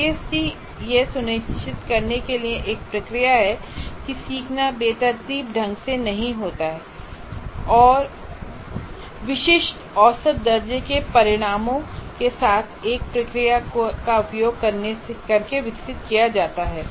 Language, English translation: Hindi, And ISD is a process to ensure learning does not have occur in a haphazard manner and is developed using a process with specific measurable outcomes